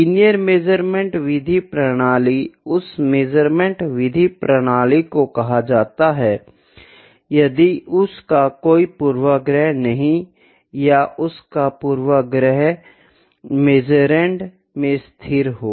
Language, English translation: Hindi, Linear measurement method is the measurement method of system is called linear, if it has no bias or if it is bias is constant in the measurand